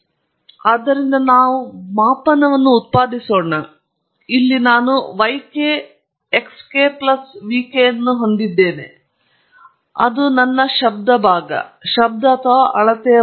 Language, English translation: Kannada, So, let us generate the measurement; here I have yk equals xk plus vk and that’s the noise part I have, noise or the measured value